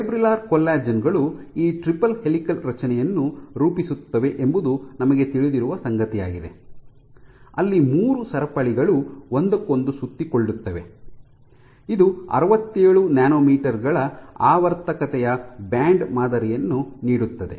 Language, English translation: Kannada, And what we also know is that fibrillar collagens form this triple helical structure, where you have three chains which wrap around each other giving you a banded pattern of periodicity 67 nanometers